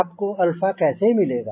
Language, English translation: Hindi, how do get that alpha